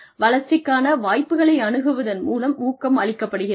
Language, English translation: Tamil, Motivation comes from, access to opportunities for growth